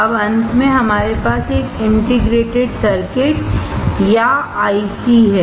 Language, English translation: Hindi, Now finally, we have here an integrated circuit or IC